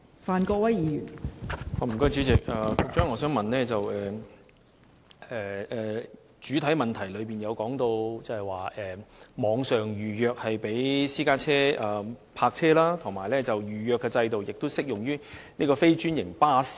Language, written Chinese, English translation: Cantonese, 代理主席，主體答覆指出，網上預約制度供私家車泊車使用，而預約制度亦適用於非專營巴士。, Deputy President the main reply points out that the online reservation system is used for the parking of private cars and it is also applicable to non - franchised buses